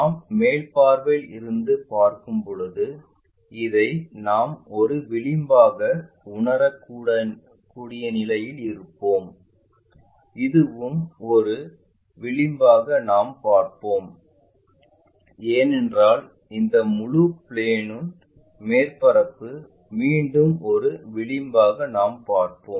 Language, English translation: Tamil, Then when we are looking from top view this one we will be in a position to sense as an edge, this one also we will see as an edge and this one also we will see because this entire plane surface we will see again as an edge